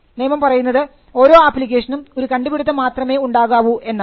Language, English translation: Malayalam, The law requires that every application should have only one invention